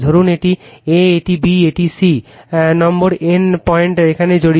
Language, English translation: Bengali, Suppose, this is a, this is b, this is c right, no N point is involved here